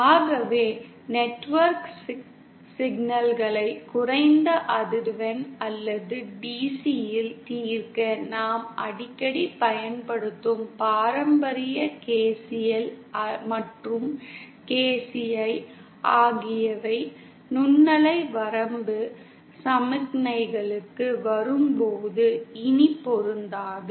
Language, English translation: Tamil, So the traditional KCl and KCL that we often use for solving network problems at low frequency or DC are no longer applicable when we come to the microwave range of signals